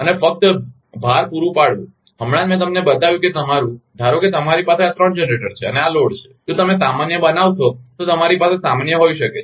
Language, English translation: Gujarati, And supplying a load just just now I showed you that your, that suppose you have these three generators and this is the load, you may have a in general if you generalize it